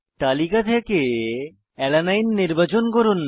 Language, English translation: Bengali, Select Alanine from the list